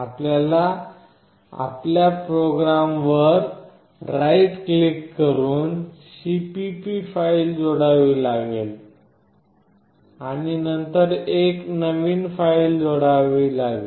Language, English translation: Marathi, You have to add the cpp file by right clicking on your program and then add a new filename